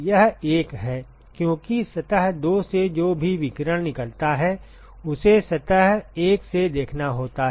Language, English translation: Hindi, It is it is 1 because whatever radiation that leaves surface 2, it has to be seen by surface 1